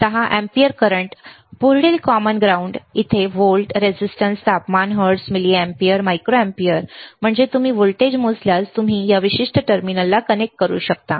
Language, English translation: Marathi, 10 ampere current, next common ground, right here see volt, resistance, temperature, hertz, milliampere, micro ampere means you can if you measure voltage, you can connect to this particular terminal